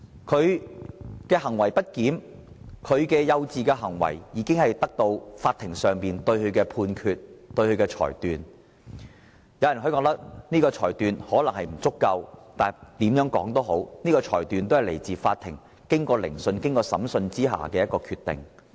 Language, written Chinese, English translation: Cantonese, 他的行為不檢和幼稚行為已由法庭作出裁決，而有人認為裁決可能並不足夠，但無論如何，有關裁決是由法庭經過聆訊後頒下的決定。, His misbehaviour and childish conduct had been convicted by the Court . Some people think that the verdict was not enough . Anyhow the verdict was a decision handed down by the Court after due inquiry into the case